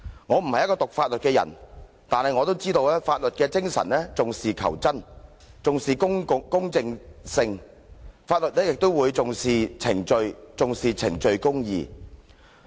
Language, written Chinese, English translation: Cantonese, 我不是修讀法律的人，但我也知道法律的精神重視求真、重視公正性，而法律也重視程序、重視程序公義。, I have not studied law but I know that the spirit of the law attaches importance to truth and fairness . The law also attaches importance to procedures and procedural justice